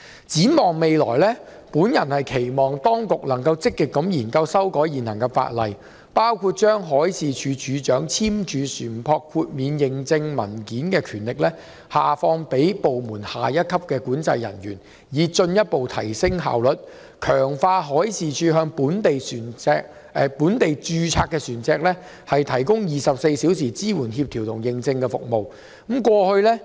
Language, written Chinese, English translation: Cantonese, 展望未來，我期望當局能積極研究修訂現行法例，包括將海事處處長簽發船舶豁免認證文件的權力下放至部門內下一級管制人員，以進一步提升效率，強化海事處向本地註冊船隻提供的24小時支援、協調和認證服務。, Looking ahead I hope that the authorities can proactively look into amending the existing legislation to facilitate the implementation of measures including delegation of the power of the Director of Marine to sign certificates of exemption to controlling officers at the next rank in the Department to further enhance efficiency and strengthening of around - the - clock support coordination and certification services provided to locally registered vessels by the Marine Department